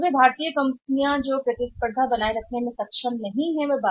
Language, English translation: Hindi, So, those Indian companies who were not able to sustain the competition they have gone out of the market